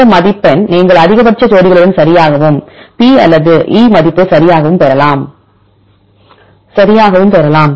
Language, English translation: Tamil, This score you can get the with the highly maximum pairs right and also with the P value or E value right